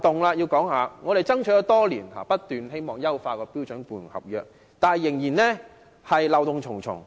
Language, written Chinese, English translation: Cantonese, 雖然我們已爭取多年，一直希望能優化標準僱傭合約，但該合約仍然漏洞重重。, Although we have striven for years to enhance the standard employment contract the contract is still full of loopholes